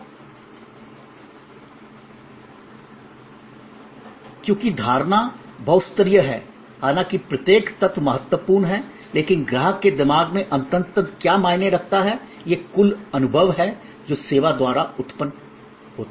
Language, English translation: Hindi, Because, the customer perception though multi layered, though each element is important, but what ultimately matters in his or her mind, in the mind of the customer is the total experience that is generated by service